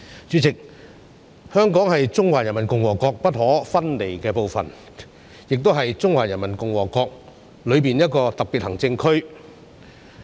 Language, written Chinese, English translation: Cantonese, 主席，香港是中華人民共和國不可分離的部分，亦是中華人民共和國內的一個特別行政區。, President Hong Kong is an inalienable part of the Peoples Republic of China PRC . It is also a special administration region within PRC